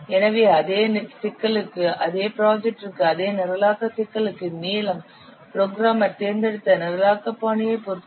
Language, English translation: Tamil, So, the same for the same problem, for the same project, for the same programming problem, the length would depend on the programming style that the program has chosen